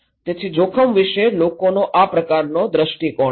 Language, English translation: Gujarati, So, this is how people have different perspective about the risk